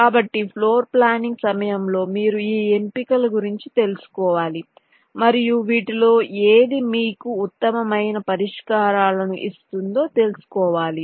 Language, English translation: Telugu, so during floorplanning you will have to exercise these options and find out which of this will give you the best kind of solutions